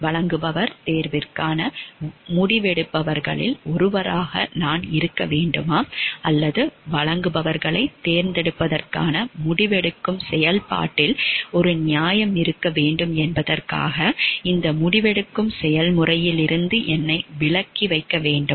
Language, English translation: Tamil, Should I be one of the decision makers for the supplier selection or should I keep myself out of the process of this decision making to give so that there is a fairness in the process of the decision making for the selection of the suppliers